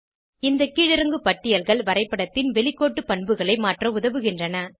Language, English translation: Tamil, These drop downs help to change the outline properties of the Graph